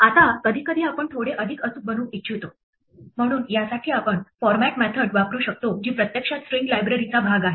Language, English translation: Marathi, Now, sometimes you want to be a little bit more precise, so for this we can use the format method which is actually part of the string library